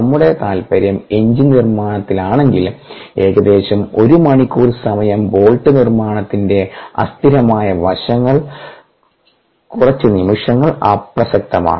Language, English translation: Malayalam, if are interest is in engine making about an hour, characteristic time, characteristic time the unsteady aspects of bolt making a few seconds are irrelevant